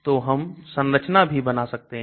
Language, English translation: Hindi, So we can draw the structure